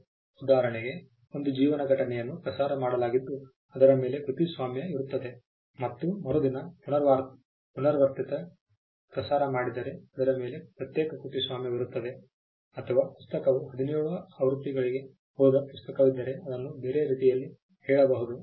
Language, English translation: Kannada, For instance a life event is broadcasted there is a copyright on it and there is a repeat broadcast the next day that has a separate copyright over it or to put it in another way if there is a book that has gone into seventeen editions the book will have seventeen copyrights over it each one different from the other